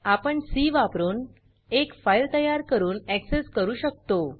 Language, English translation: Marathi, We can create a file and access it using C